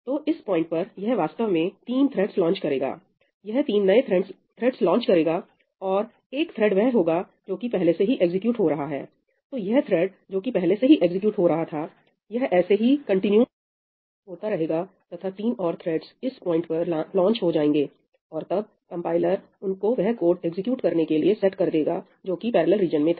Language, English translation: Hindi, So, this thread which was already executing, this continues on as one thread and three additional threads get launched at this point in time; and then the compiler sets them up so that they execute this code which is there in the parallel region